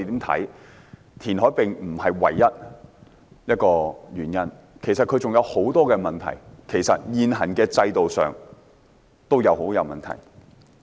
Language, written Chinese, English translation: Cantonese, 填海並非唯一原因，其實還有很多問題，現行的制度也很有問題。, Reclamation is not the only reason and there are actually many other problems . The existing system also has many problems